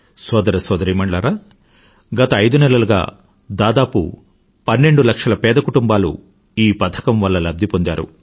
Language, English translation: Telugu, Brothers and Sisters, about 12 lakhimpoverished families have benefitted from this scheme over a period of last five months